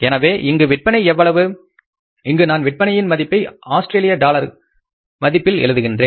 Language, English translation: Tamil, I am putting here the sales in terms of say the units are Australian dollars